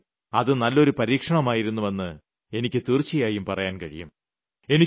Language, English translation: Malayalam, But I can say for sure that it was a good experiment